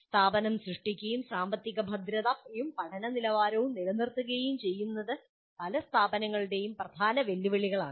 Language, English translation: Malayalam, But once the institution created and maintaining financial viability and quality of learning is a major challenge to many institutions